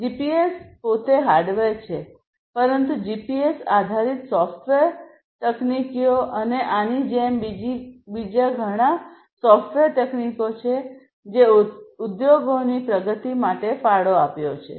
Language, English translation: Gujarati, So, GPS; GPS itself is hardware, but you know the GPS based software technologies and like this there are many other software technologies that have emerged and have contributed to the advancement of manufacturing industries